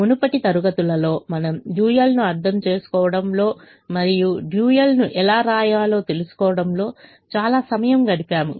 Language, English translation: Telugu, in earlier classes we have spent a lot of time understanding the dual and also in writing the dual